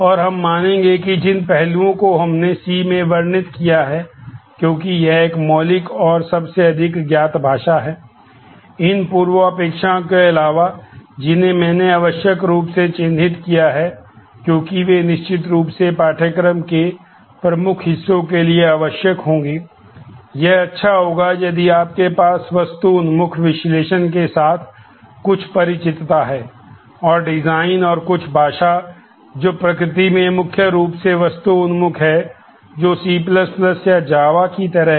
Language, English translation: Hindi, Besides these prerequisites which I have marked as essential, because they will certainly be required for the major parts of the course, it will be good if you have some familiarity with object oriented analysis; and design and some language which is more heavily object oriented object aligned in nature like C++ or java